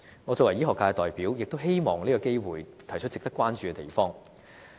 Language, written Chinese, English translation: Cantonese, 我作為醫學界的代表，亦希望藉此機會提出值得關注的地方。, As the representative of the health care sector I also wish to take this opportunity to point out a few points which deserve our attention